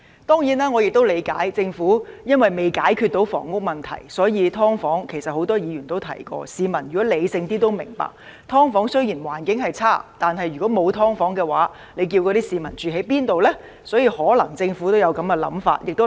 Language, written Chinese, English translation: Cantonese, 當然，我亦理解，政府因為未能解決房屋問題，所以，其實很多議員都提過，而市民如果理性一點也會明白，"劏房"雖然環境惡劣，但如果沒有"劏房"，那些市民可以住在哪裏？, Certainly I understand and so would more rational members of the public that as pointed out by many Members due to the Governments inability to solve the housing problem although the environment of subdivided units is poor without them where can those people live in?